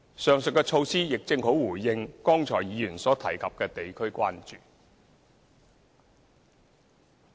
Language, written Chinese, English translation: Cantonese, 上述的措施亦正好回應議員剛才所提及的地區關注。, The above initiatives can also respond to the district concerns mentioned by Members just now